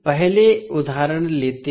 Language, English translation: Hindi, Let us take first example